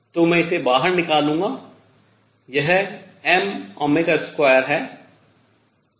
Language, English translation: Hindi, So, I will take this out this is m omega square